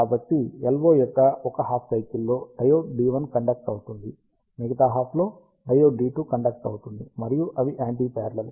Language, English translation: Telugu, So, in one half the cycle of the LO diode D 1 conducts, in other half diode D 2 conducts, and since they are anti parallel, the current directions are reversed